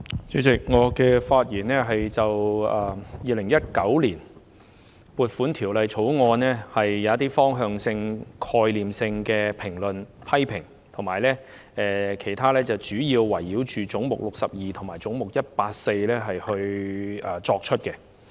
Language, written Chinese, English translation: Cantonese, 主席，我會就《2019年撥款條例草案》提出一些方向性、概念性的評論和批評，其餘主要圍繞總目62和總目184發言。, Chairman I will make some directional or conceptual comments and criticisms on the Appropriation Bill 2019 . The remainder of my speech will focus mainly on head 62 and head 184